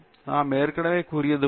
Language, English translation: Tamil, So, like we already said